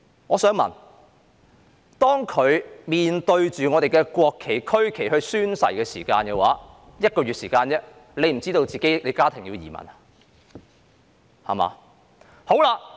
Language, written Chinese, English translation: Cantonese, 我想問，她在1個月前面對我們的國旗和區旗宣誓時，難道不知道她和家人要移民嗎？, I would like to ask when she took an oath facing our national flag and regional flag a month ago did she not know that she would be migrating with her family members?